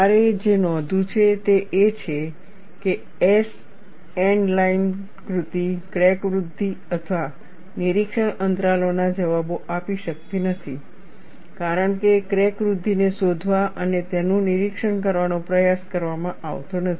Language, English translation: Gujarati, What you have to note is the S N diagram cannot provide answers to crack growth or inspection intervals, as no attempt is made to detect and monitor crack growth